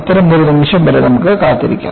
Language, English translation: Malayalam, Let us, wait till such a moment